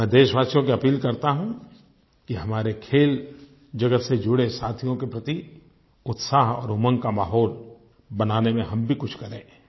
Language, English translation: Hindi, I appeal to my countrymen to contribute their bit in creating an atmosphere that boosts the spirits and enthusiasm of our athletes